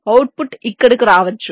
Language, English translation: Telugu, the output can come here, let say so